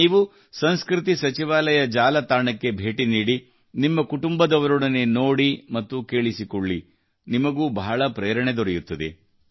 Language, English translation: Kannada, While visiting the website of the Ministry of Culture, do watch and listen to them with your family you will be greatly inspired